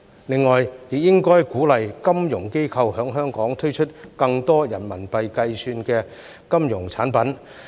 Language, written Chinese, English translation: Cantonese, 另外，政府亦應該鼓勵金融機構在香港推出更多人民幣計算的金融產品。, In addition the Government should encourage financial institutions to introduce more RMB - denominated financial products in Hong Kong